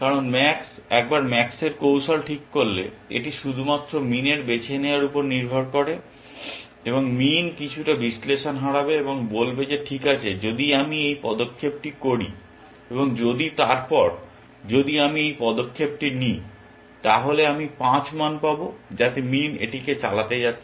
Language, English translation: Bengali, Because once max has frozen max’s strategy, it is only up to min to choose and min will lose some analysis and say that, okay if I make this move and if then, if I make this move then, I will get a value of 5, which is what min is going to drive it at